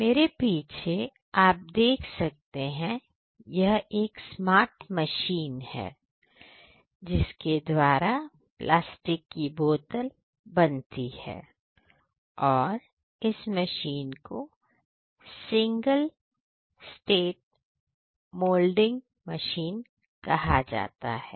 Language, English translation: Hindi, So, behind me is a machine a smart machine which is used for making these plastic bottles, it is known as the single state blow moulding machine